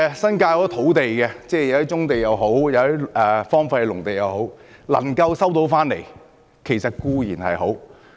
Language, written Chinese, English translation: Cantonese, 新界有很多土地，一些是棕地，一些則是荒廢農地，能夠收回固然好。, There are different types of land in the New Territories some are brownfields some are deserted farmlands and it will be nice if they can be resumed